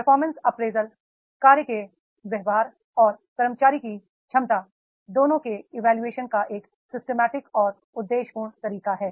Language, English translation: Hindi, Performance appraisal is a systematic and objective way of evaluating both work related behavior and potential of employees